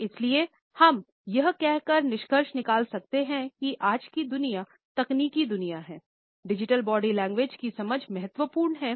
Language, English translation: Hindi, So, we can conclude by saying that in today’s technological world, the understanding of Digital Body Language is important